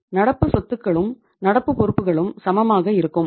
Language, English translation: Tamil, Current assets are equal to the current liabilities